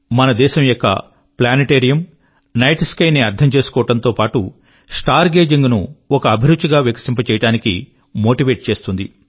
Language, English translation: Telugu, The planetariums in our country, in addition to increasing the understanding of the night sky, also motivate people to develop star gazing as a hobby